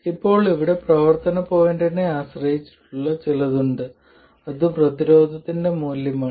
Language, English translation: Malayalam, Now, there is something on the operating point here that is the value of the resistance itself